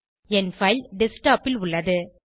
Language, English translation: Tamil, My file is located on the Desktop